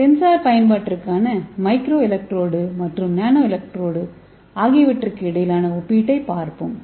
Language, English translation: Tamil, Let us see the comparison between the microelectrode and nano electrode for sensor application